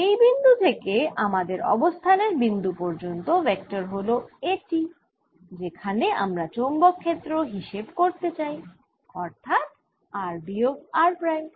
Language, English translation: Bengali, the vector from this to my position, where i want to find the magnetic field, is r minus r prime